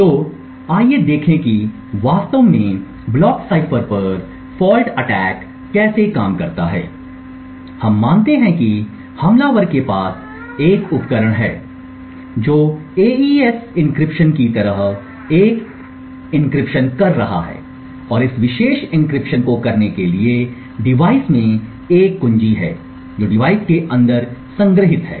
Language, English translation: Hindi, So, let us look at how a fault attack on a block cipher actually works, so we assume that the attacker has a device which is doing an encryption like an AES encryption and in order to do this particular encryption the device has a key which is stored inside the device